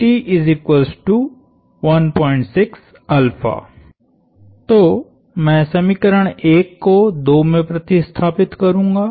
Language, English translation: Hindi, So, I will substitute 1 into 2